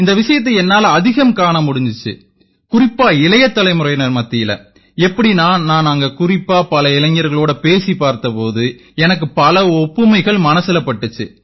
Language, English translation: Tamil, I noticed this a lot, and especially in the young generation, because I interacted with many youths there, so I saw a lot of similarity with what they want